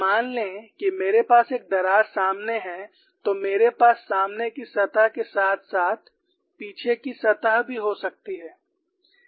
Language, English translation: Hindi, Suppose I have a crack front, I can have a front surface as well as the back surface